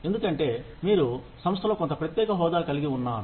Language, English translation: Telugu, Because, you have a certain special status in the organization